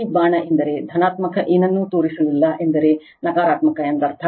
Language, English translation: Kannada, This arrow means positive nothing is shown means negative right